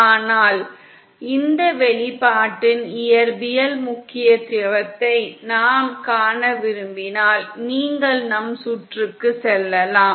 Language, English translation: Tamil, But if we just want to see the physical significance of this expression then you can go back to our circuit